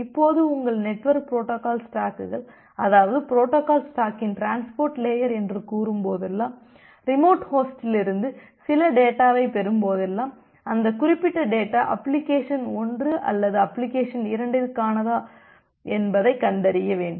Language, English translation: Tamil, Now whenever your network protocol stacks say this is a transport layer of protocol stack, whenever it receives some data from a remote host it need to find out whether that particular data is for application 1 or application 2